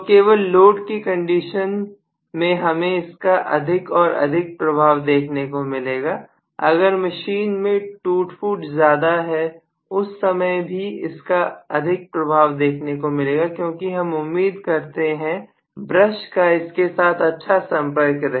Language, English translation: Hindi, So only under loaded condition you will see this more and more, if the wear and tear in the machine is quite large then also you may see because normally we expect that it has to make a good contact here the brush has to make a good contact here